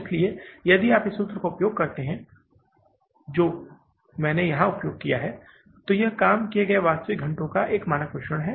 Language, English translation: Hindi, So, if you use this formula, what I have used here is standard mix of the actual hours worked